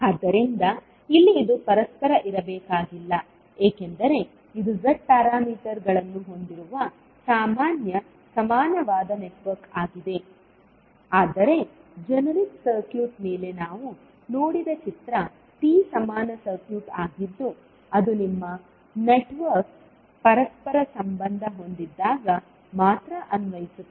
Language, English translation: Kannada, So, here it need not to be reciprocal because this is a generic equivalent network having Z parameters, while the figure which we saw above the generic circuit is T equivalent circuit which is only applicable when your network is reciprocal